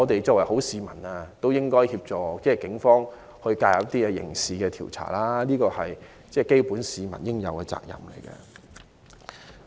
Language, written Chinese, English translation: Cantonese, 作為好市民，我們也應協助警方進行刑事調查，是大家應有的基本責任。, As a good citizen we should also assist the Police with their criminal investigation which is a primary responsibility rested with us